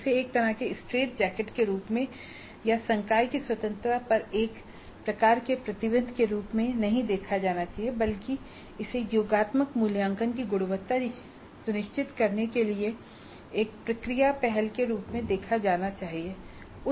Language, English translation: Hindi, So, it should not be seen as a kind of a straight jacket or as a kind of a restriction on the freedom of the faculty but it should be seen as a process initiative to ensure quality of the summative assessment